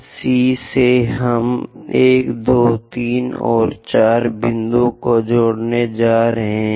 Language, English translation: Hindi, From from C, we are going to connect 1, 2, 3, and 4 points